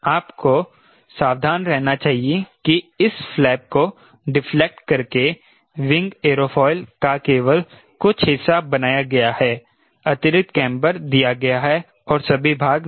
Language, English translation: Hindi, we should be careful that by deflecting this flap, only some portion of the wing, aerofoil i will has been made, given additional camber, not all the portion, right